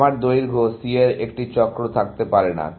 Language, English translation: Bengali, I cannot have a cycle of length C